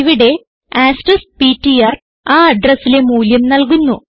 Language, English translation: Malayalam, And here asterisk ptr will give the value at the address